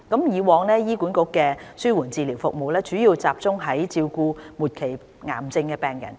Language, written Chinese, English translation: Cantonese, 以往，醫管局的紓緩治療服務主要集中照顧末期癌症病人。, In the past palliative care services of HA focused mainly on the care of advanced cancer patients